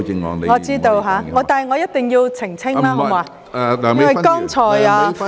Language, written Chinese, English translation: Cantonese, 我知道，但我一定要澄清，因為剛才......, I know but I have to make a clarification because just now